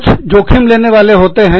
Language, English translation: Hindi, Some people are risk takers